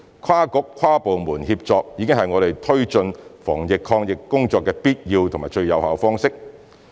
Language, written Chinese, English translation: Cantonese, 跨局、跨部門協作已經是我們推行防疫抗疫工作的必要及最有效方式。, Cross - bureaux or - departmental collaboration has been the essential and most effective way of implementing anti - epidemic work